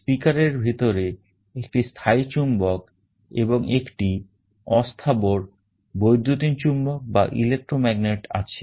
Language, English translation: Bengali, Inside a speaker there is a permanent magnet and there is a movable electromagnet